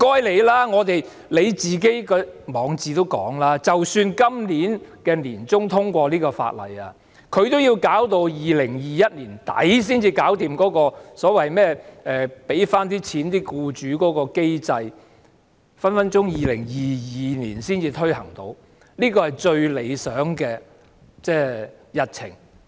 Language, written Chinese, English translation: Cantonese, 然而，局長在他的網誌也表示，即使在今年年中通過這項法案，也要在2021年年底才能解決補償僱主的機制，隨時要2022年才能推行，這是最理想的日程。, However the Secretary says in his blog that even if the Bill is passed in mid - 2020 the Government still needs time to set up the reimbursement mechanism for employers and thus the Bill most ideally speaking can only be implemented in the end of 2021 or even in 2022